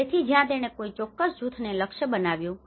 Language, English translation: Gujarati, So that is where it has given a particular group has been targeted